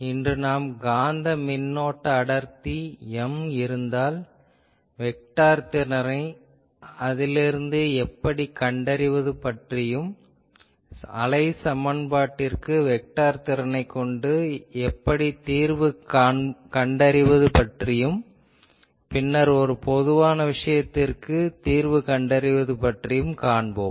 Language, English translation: Tamil, Today we will see that if we have a Magnetic Current Density M, then how to find the vector potential from it and then, we will find what is the how to solve the wave equation with the help of that vector potential